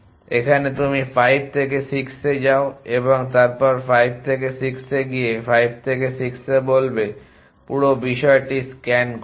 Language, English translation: Bengali, Here you would at scan the whole thing in say 5 from 5 go to 6 and then 5 from 5 go to 6 in this also